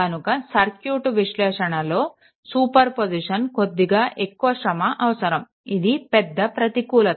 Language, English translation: Telugu, So, circuit analysis superposition may very lightly involved more work and this is a major disadvantage